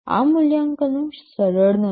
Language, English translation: Gujarati, These assessments are not easy